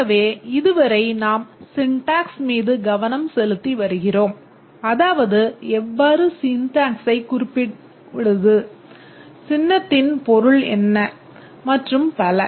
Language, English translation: Tamil, So far we have been concentrating on the syntax, how to represent what is the meaning of the symbol and so on